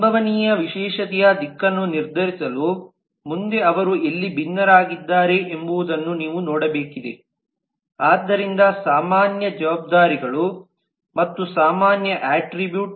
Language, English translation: Kannada, next to do on the direction of possible specialization you will need to look at where do they differ so this was a common part, common responsibilities and common attributes